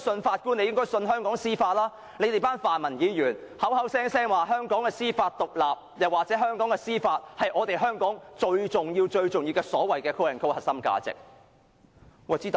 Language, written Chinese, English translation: Cantonese, 他們更會說我們這群泛民議員，口口聲聲說香港司法獨立，又或香港的司法是最重要的核心價值。, They will also say that we democrats are the ones who often emphasize that the Judiciary should be independent or that the judicial system of Hong Kong is our most important core value